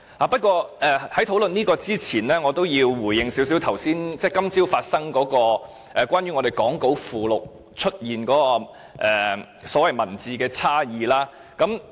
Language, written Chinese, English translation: Cantonese, 不過，在討論這些之前，我要回應一下今早發生的事，關於講稿附錄出現的所謂文本差異。, Before discussing all these I would like to respond to the happening this morning about the so - called textual difference which we saw on the appendix to the script